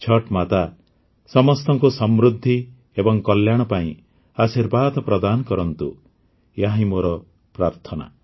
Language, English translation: Odia, I pray that Chhath Maiya bless everyone with prosperity and well being